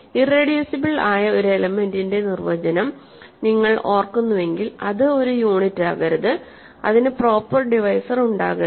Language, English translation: Malayalam, So, if you recall the definition of an irreducible element, it should not be a unit and it should not have proper divisors